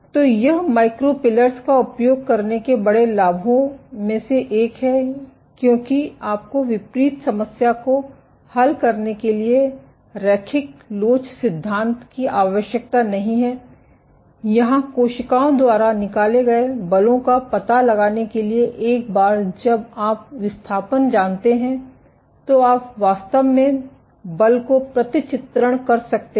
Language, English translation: Hindi, So, this is one of the big advantages of using micro pillars because you do not need linear elasticity theory to solve the inverse problem, for finding out the forces exerted by cells here once you know the displacement you can exactly map out the force